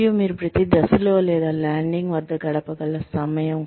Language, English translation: Telugu, And the time, you can spend at, each step or landing